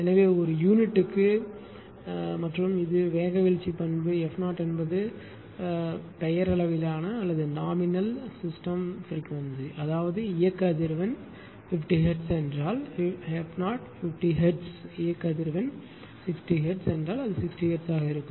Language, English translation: Tamil, So, 1 per unit and this is the speed droop characteristic; f 0 is the nominal system frequency I mean if the operating frequency 50 hertz, then f 0 is 50 hertz if the operating frequency is 60 hertz then it will be 60 hertz right